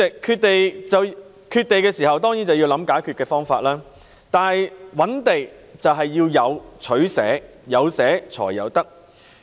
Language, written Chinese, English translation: Cantonese, 代理主席，缺地時當然便要想解決方法，而覓地便是要有取捨，有捨才有得。, Deputy President in the light of land shortage we certainly need to find a solution . Identifying land sites warrants some give and take as we have to give some in order to take some